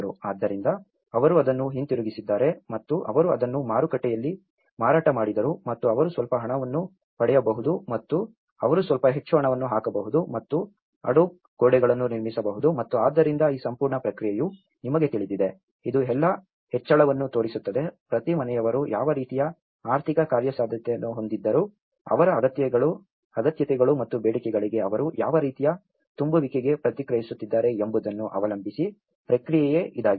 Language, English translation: Kannada, So, they have given it back and they sold it in the market and they could able to get some money and they could able to put some more money and built the adobe walls and so this whole process you know, itís all showing up an incremental process depending on each household what kind of economic feasibility they had, what kind of infill they are responding to their needs and demands